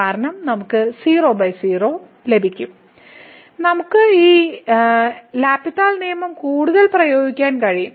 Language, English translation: Malayalam, Because then we will get by form and we can further apply the L’Hospital’s rule